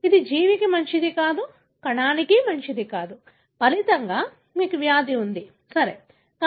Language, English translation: Telugu, It is not good for the organism, not good for the cell, as a result you have the disease, right